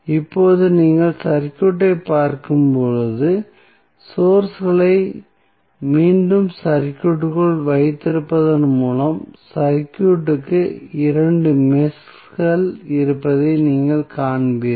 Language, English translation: Tamil, Now, when you see the circuit, why by keeping the sources back to the circuit, you will see there would be 2 meshes in the circuit